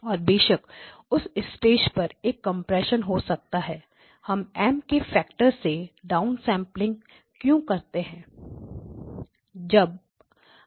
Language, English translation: Hindi, And of course then a compression can happen at this stage and why we are down sampling by a factor of M